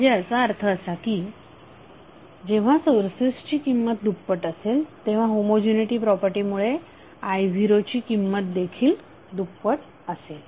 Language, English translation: Marathi, So it means that when sources value is double i0 value will also be double because of homogeneity property